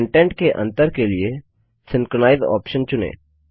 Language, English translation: Hindi, Spacing to contents has the Synchronize option checked